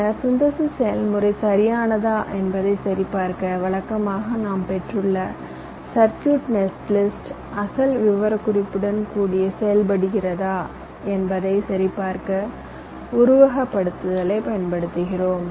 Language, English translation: Tamil, then, in order to verify whether the synthesis process is correct, we usually use simulation to verify that, whether the circuit net list that we have obtained behaves in the same way as for the original specification